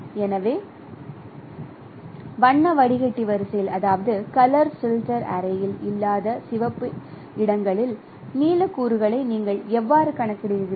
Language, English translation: Tamil, So, this is how you compute the blue components wherever it is not there in the color filter ready